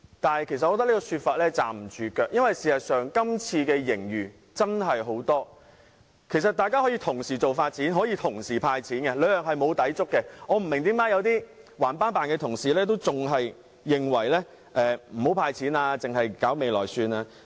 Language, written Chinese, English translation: Cantonese, 然而，我認為這種說法是站不住腳的，因為事實上本年度的盈餘真的很多，政府大可以同時發展和"派錢"，兩者並無抵觸，我不明白為甚麼有些固執的同事仍然認為不應該"派錢"，只應用作未來發展。, I find this saying most untenable because with the huge surplus this year the Government may well develop and hand out cash at the same time . The two do not contradict each other . So I do not understand why some Honourable colleagues are so stubborn as to insist that money should be used only for future development but never be handed out